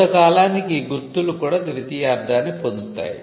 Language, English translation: Telugu, Marks over a period of time also get secondary meaning